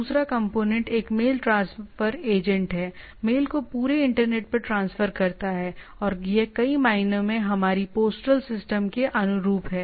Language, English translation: Hindi, There is a mail transfer agent, transfer the mail across the internet right, and this is analogous to our postal system in many way